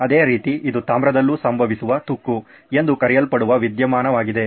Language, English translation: Kannada, It’s the same phenomena called corrosion that happens even in copper